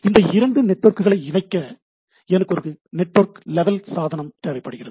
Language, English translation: Tamil, In order to connect these two networks, I require a network level device which will allow me to connect, right